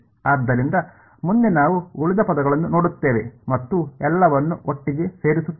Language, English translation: Kannada, So, next we will look at the remaining terms and put them all together